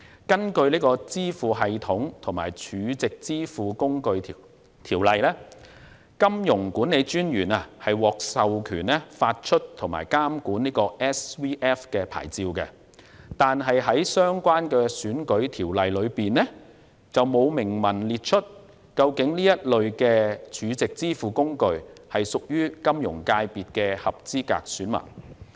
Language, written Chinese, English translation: Cantonese, 根據《支付系統及儲值支付工具條例》，金融管理專員獲授權發出及監管 SVF 牌照，但在相關的選舉條例中，卻沒有明文規定這類 SVF， 是否屬於金融界別的合資格選民。, According to the Payment Systems and Stored Value Facilities Ordinance the Monetary Authority is authorized to issue and monitor SVF licences . However the relevant electoral legislation has not explicitly stated whether SVFs are eligible electors in the Finance FC